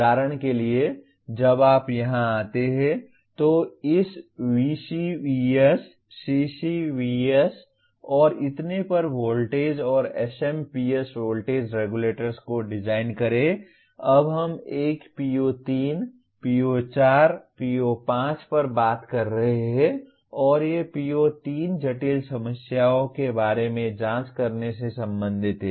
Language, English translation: Hindi, For example when you come here, design this VCVS, CCVS and so on voltage and SMPS voltage regulators we are now talking a PO3, PO4, PO5 and these are PO3 is related to conducting investigations about complex problems